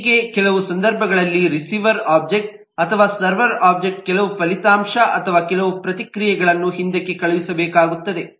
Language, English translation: Kannada, now in some cases the receiver object or the server object will need to send back some result or some response